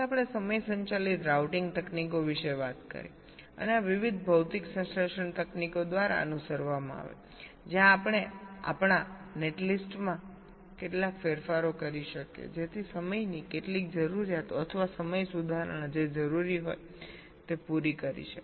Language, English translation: Gujarati, then we talked about the timing driven routing techniques and this was followed by various physical synthesis techniques where we can make some modifications to our netlists so as to meet some of the timing requirements or timing corrections that are required